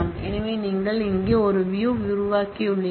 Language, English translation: Tamil, So, you have created a view here